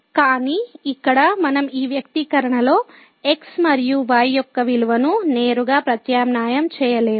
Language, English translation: Telugu, But here so we cannot substitute thus directly the value of and in this expression